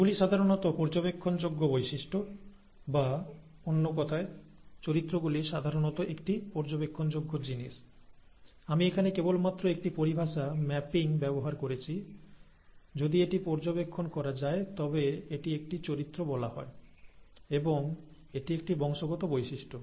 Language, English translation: Bengali, Those are, those are typical those are typical observable traits, or in other words, the characters usually an observable thing, I am just using a terminology mapping here, so this aspect, if it can be observed, it is called a character, and it is a heritable feature